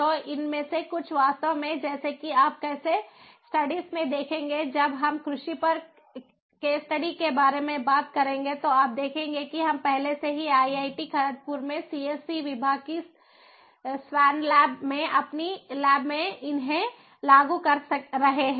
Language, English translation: Hindi, so some of these actually, as you will see in the case studies, when we talk about case study on agriculture, you will see that we are already implementing these in our lab, in the swan lab of the department of csc at iit kharagpur, we are already implementing some of these different things